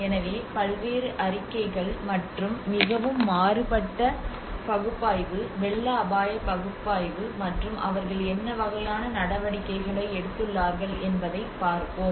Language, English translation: Tamil, So I will go through a brief of various reports and very different kinds of analysis, the flood risk analysis and what kind of measures they have taken